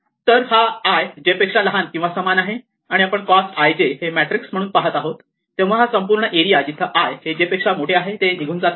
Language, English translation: Marathi, So, i is less than or equal to j, and we look at cost i j as a kind of matrix then this whole area where i is greater than j is ruled out